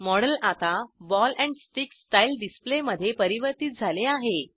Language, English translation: Marathi, The model is now converted to ball and stick style display